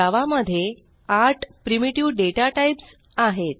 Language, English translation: Marathi, We know about the 8 primitive data types in Java